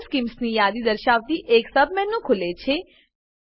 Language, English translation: Gujarati, A submenu opens with a list of Color schemes